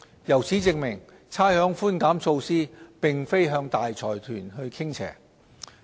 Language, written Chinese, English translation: Cantonese, 由此證明，差餉寬減措施並非向大財團傾斜。, This proves that the rates concession measure does not tilt towards consortiums